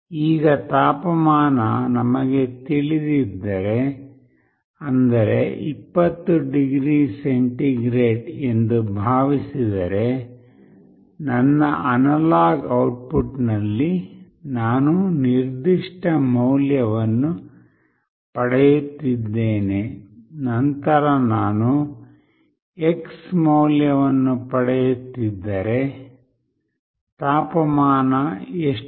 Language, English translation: Kannada, If we know that now the temperature is, let us say 20 degree centigrade, I am getting certain value in my analog output, then if I am getting x value, what will be the temperature